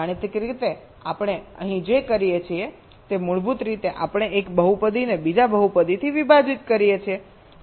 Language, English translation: Gujarati, mathematically, what we do here is basically we are dividing a polynomial by another polynomial and take the reminder